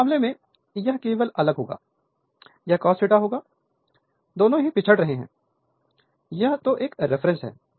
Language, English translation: Hindi, So, in this case, so, it will be difference only, it will be cos minus theta cos theta; both are lagging, I mean if you take the reference, this is my reference